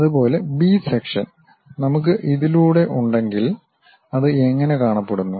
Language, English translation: Malayalam, Similarly, section B if we are having it through this, how it looks like